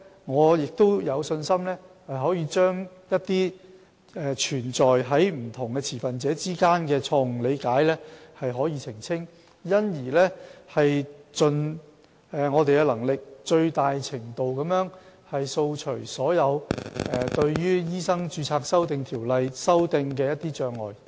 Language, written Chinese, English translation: Cantonese, 我有信心我們可以澄清這些存在於不同持份者之間的錯誤理解，從而盡力掃除所有對修訂《醫生註冊條例》的障礙。, I am confident that we can clarify these misunderstandings that exist among different stakeholders thereby removing all obstacles to amending MRO with our best efforts